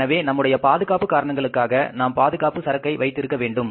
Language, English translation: Tamil, So, we keep always, for the safety purposes, we keep the safety stock